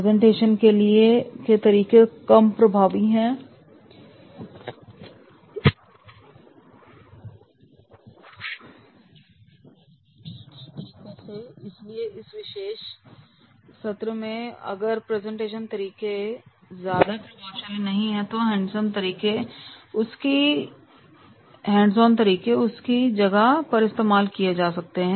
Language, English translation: Hindi, The presentation methods are also less effective than the hands on methods and therefore in that case if the presentation methods are not very very effective then in the case the hands on methods that can supplement